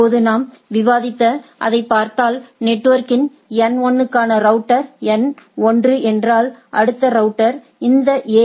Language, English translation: Tamil, Now, if we look at that what we are discussing; so, if it is that router N 1 for net network N 1, a next router is R 1 for this AS